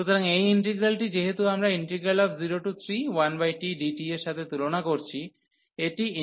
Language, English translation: Bengali, So, since this integral which we are comparing with 1 over t, this integral diverges